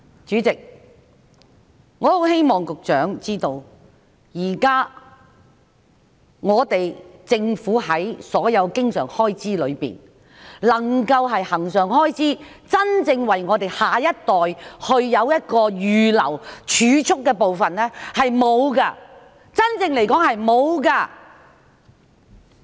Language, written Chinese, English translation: Cantonese, 主席，我希望局長知道，在政府現時所有經常開支之中，並沒有任何恆常開支是真正為我們下一代預留作儲蓄的，嚴格來說並沒有。, President I hope the Secretary is aware that among the recurrent expenditure of the Government at present no recurrent funding has actually been set aside for our next generation in the form of savings . Strictly speaking there is none